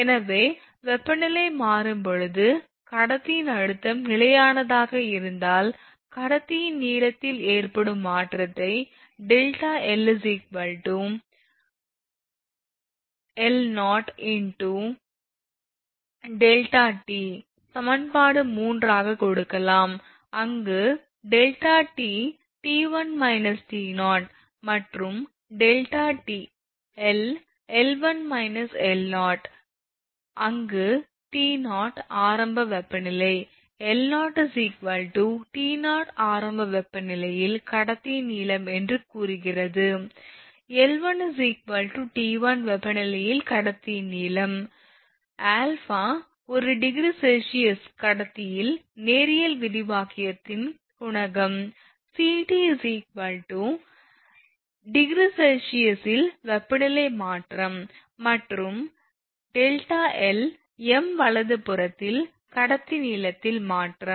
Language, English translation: Tamil, So, in if conductor stress is constant while the temperature changes, the change in the length of the conductor can be given as delta l is equal to l 0 into alpha into delta t this is equation 3, where delta t is equal to t 1 minus t 0 and delta l is equal to l 1 minus l 0, where t 0 is initial temperature l 0 is conductor length at initial temperature say T 0, that is this is t 0 l 1 is conductor length at temperature t 1, and alpha coefficient of linear expansion of conductor per degree centigrade, and delta t that is this one delta t and delta l this delta t is change in temperature in degree centigrade and delta l change in conductor length in meter right